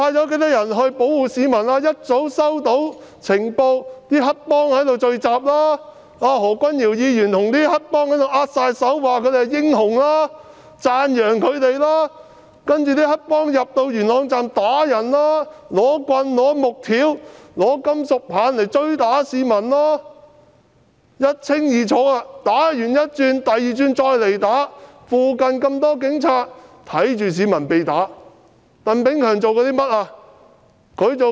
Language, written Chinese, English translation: Cantonese, 警方早已收到有黑幫聚集的情報，何君堯議員跟黑幫握手說他們是英雄，讚揚他們，其後黑幫便進入西鐵元朗站打人，用木棍、木條、金屬棒追打市民，一清二楚，打完第一輪後，第二輪又再折返打人。, Dr Junius HO shook hands with the triad members saying that they were heroes and giving them a thumbs - up . The triad gangsters subsequently entered Yuen Long Station of the West Rail to assault people . They used wooden rods planks and metal rods to chase and beat people